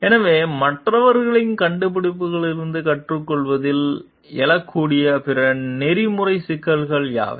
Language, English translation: Tamil, So, what are other ethical issues that may arise in learning from the invention of others